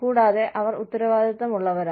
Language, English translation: Malayalam, And, they are accountable